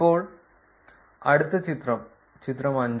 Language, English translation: Malayalam, Now, let us look at the next figure, figure 5